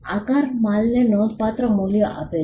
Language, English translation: Gujarati, shape gives substantial value to the goods